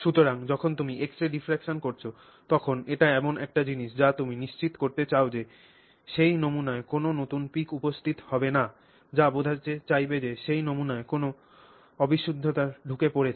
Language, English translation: Bengali, So, when you are doing the x ray diffraction, that's another thing that you want to look for, you want to make sure that there are no new peaks appearing in that sample which would imply that you have introduced an impurity into that sample